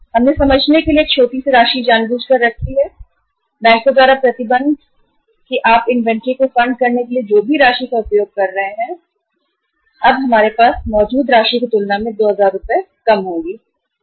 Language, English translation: Hindi, We have kept a small amount knowingly just for the sake of simplicity that there is a restriction by the bank that whatever the amount you have been using to fund your inventory by borrowing from us now you will be borrowing 2000 Rs less as compared to the amount we have been borrowing in the past